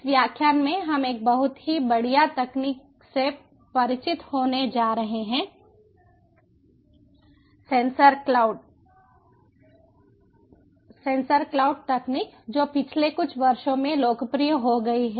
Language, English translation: Hindi, in this lecture we ae going to get introduced to a very fine technology, the sensor cloud technology, which is become popular in the last few years